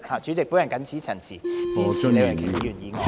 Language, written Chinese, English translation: Cantonese, 主席，我謹此陳辭，支持李慧琼議員的議案。, President with these remarks I support Ms Starry LEEs motion